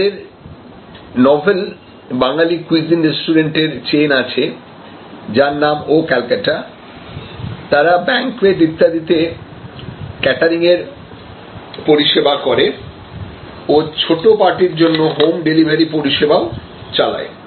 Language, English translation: Bengali, They have a chain of novel, Bengali cuisine restaurant called Oh Calcutta, they have catering services for banquet and so on, they may have some home delivery services for small parties